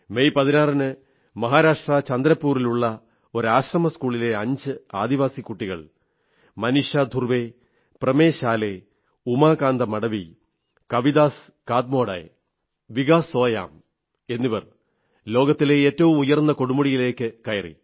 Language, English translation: Malayalam, On the 16th of May, a team comprising five tribal students of an Ashram School in Chandrapur, Maharashtra Maneesha Dhurve, Pramesh Ale, Umakant Madhavi, Kavidas Katmode and Vikas Soyam scaled the world's highest peak